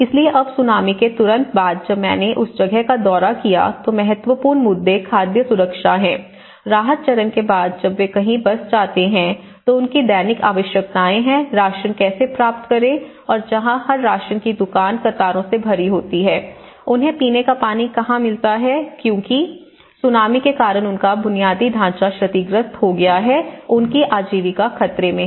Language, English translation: Hindi, So, now immediately after the post Tsunami when I visited the place, the important issues are the food security, you know how to get their rations because they are all after the relief stage when they settle somewhere, so their daily needs, this is where every ration shop is full of queues, every water facility because their infrastructure has been damaged because of the Tsunami, where do they get the drinking water you know and their livelihood is in threat